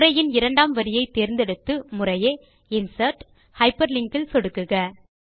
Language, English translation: Tamil, Select the second line of text and click on Insert and then on Hyperlink